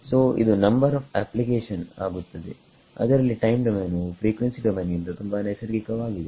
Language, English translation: Kannada, So, as it turns out the number of applications where time domain is the more natural domain is actually more than frequency domain